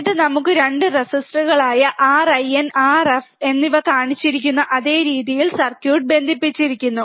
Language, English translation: Malayalam, And then we have 2 resistors R in and R f connected in the same way shown in circuit